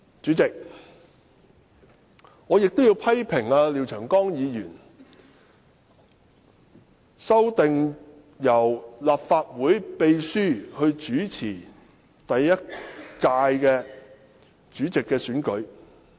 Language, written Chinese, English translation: Cantonese, 主席，我亦要批評廖長江議員的修訂，建議由立法會秘書主持換屆後的主席選舉。, President I must also criticize Mr Martin LIAOs for moving an amendment to vest the Secretary General with the power to chair the meeting for electing the President in a new Legislative Council